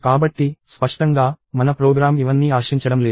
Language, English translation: Telugu, So, clearly, our program does not expect all of this